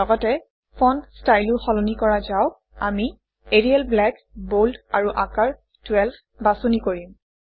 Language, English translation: Assamese, Let us also change the font style we will choose Arial Black, Bold and Size 12 and click on the Ok button